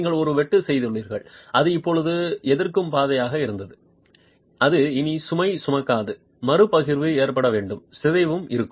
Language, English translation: Tamil, You have made a cut that was a resisting path, now that's not carrying load anymore and there has to be redistribution occurring